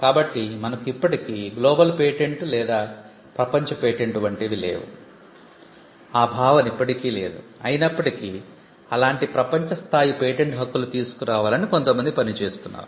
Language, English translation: Telugu, So, we still do not have something like a global patent or a world patent that concept is still not there, though people are working towards it